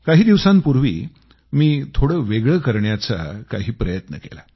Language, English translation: Marathi, A few days ago I tried to do something different